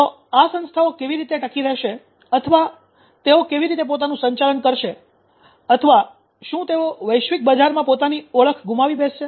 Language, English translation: Gujarati, So how these organizations will survive or they will manage will they lose their identity in the global market